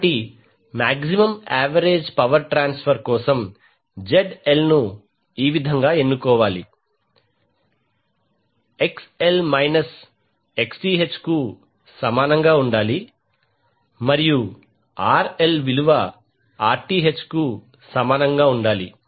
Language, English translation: Telugu, So, what you can write now that for maximum average power transfer ZL should be selected in such a way, that XL should be equal to the minus Xth and RL should be equal to Rth